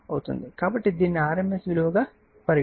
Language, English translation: Telugu, So, it is rms value